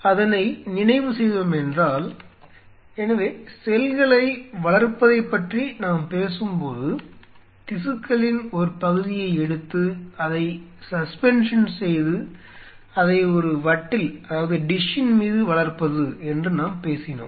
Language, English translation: Tamil, So, if we recap, when we talked about culturing the cells, we talked about you know take a part of the tissue make a single suspension and then you culture it on a dish